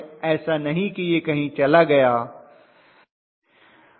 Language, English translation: Hindi, It is not that it will go away somewhere